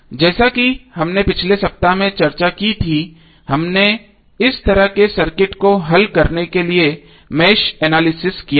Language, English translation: Hindi, As we discussed in last week we did match analysis to solve this kind of circuits